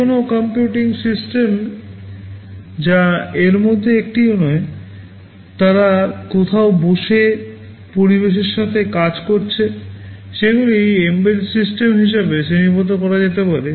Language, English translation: Bengali, Any computing system that is not one of these, they are sitting somewhere and working with the environment, they can be classified as embedded systems